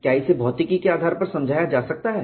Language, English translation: Hindi, Can this be explained on the basis of physics